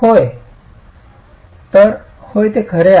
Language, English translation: Marathi, So the, yes, that's true